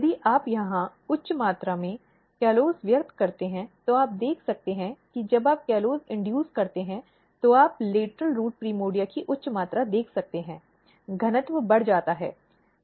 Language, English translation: Hindi, And now if you express high amount of callose here what you can see that when you induce callose you can see high amount of lateral root primordia, the density is increased